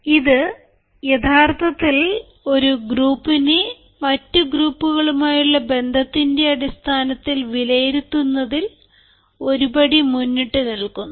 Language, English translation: Malayalam, this actually goes a step forward in assessing a groups relationship with other groups ourselfs and then the others